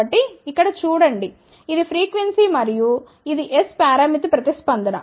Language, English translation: Telugu, So, see here this is frequency and this is the S parameter response